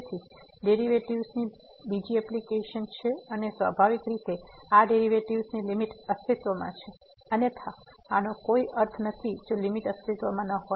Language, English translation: Gujarati, So, it is a another application of the derivatives and naturally when this limit the limit of the derivatives exist, otherwise this does not make sense if the this does not exist